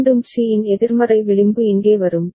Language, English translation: Tamil, Again the negative edge of C will come here